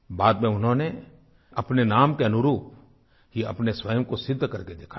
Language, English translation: Hindi, She later proved herself true to her name